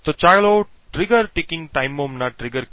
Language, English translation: Gujarati, So, let us start with trigger ticking time bombs